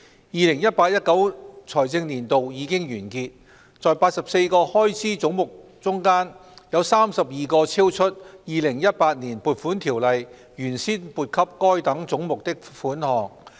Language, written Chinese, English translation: Cantonese, " 2018-2019 財政年度已經完結，在84個開支總目中，有32個超出《2018年撥款條例》原先撥給該等總目的款項。, Among the 84 heads of expenditure the expenditure charged to 32 heads is in excess of the sum originally appropriated for these heads by the Appropriation Ordinance 2018